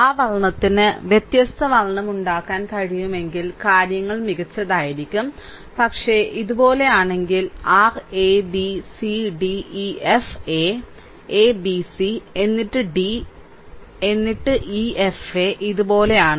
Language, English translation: Malayalam, If that color if I can make different color, things would better, but just try to understand, but if we make like these; like your a b c d e f a say a b c, then d, then e f a like this